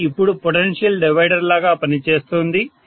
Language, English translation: Telugu, It is working now as a potential divider